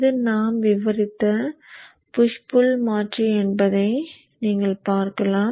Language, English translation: Tamil, So you see that this is the push pull converter that we have discussed